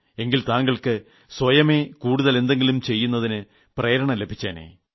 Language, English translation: Malayalam, Then you would have felt motivated enough to do a lot more